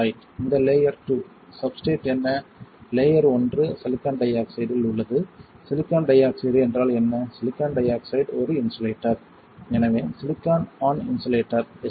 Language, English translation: Tamil, So, this silicon which is layer one right, this is layer two, what is the substrate, layer one is on silicon dioxide, silicon dioxide is what, silicon dioxide is an insulator, so silicon on insulator which is SOI right